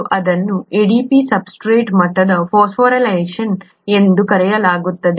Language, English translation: Kannada, And that is called substrate level phosphorylation of ADP